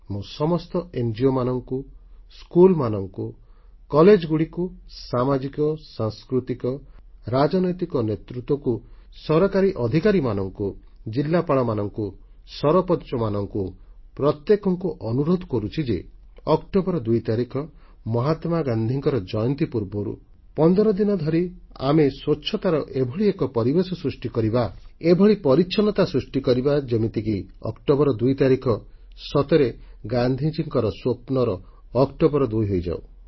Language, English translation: Odia, I urge all NGOs, schools, colleges, social, cultural and political leaders, people in the government, collectors and sarpanches, to begin creating an environment of cleanliness at least fifteen days ahead of Gandhi Jayanti on the 2nd of October so that it turns out to be the 2nd October of Gandhi's dreams